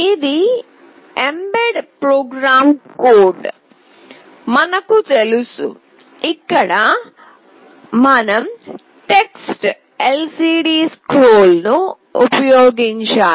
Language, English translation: Telugu, So, this is the mbed program code, we know that we have to use TextLCDScroll